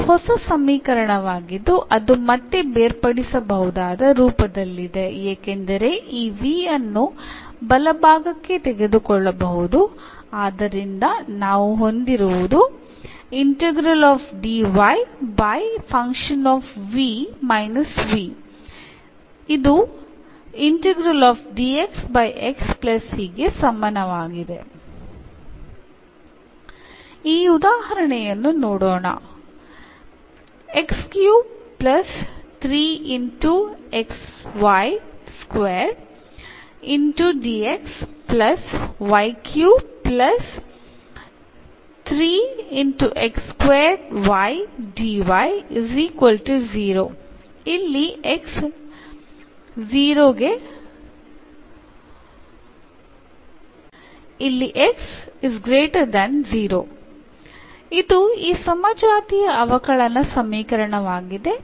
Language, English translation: Kannada, So, this is new equation which is again in separable form because this v we can take to the right hand side, so we have f v minus v